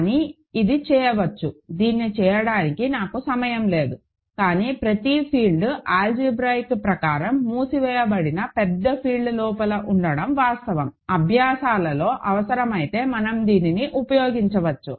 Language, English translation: Telugu, But, it can be done, I do not have time to do this, but it is a fact that every field sits inside a big field which is algebraically closed, we can use this, if needed in exercises